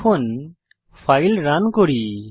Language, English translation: Bengali, Let us run the file now